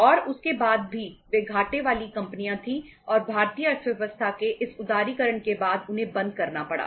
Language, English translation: Hindi, And after that also they were the say loss making companies and they had to be closed down after the this liberalization of Indian economy